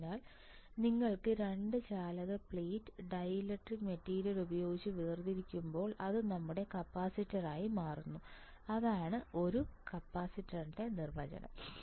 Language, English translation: Malayalam, So, when you have 2 conducting plate separated by dielectric material it becomes your capacitor, that is the definition of a capacitor